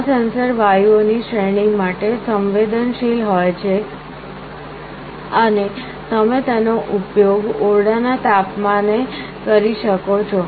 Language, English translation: Gujarati, These sensors are sensitive to a range of gases and you can use them in room temperature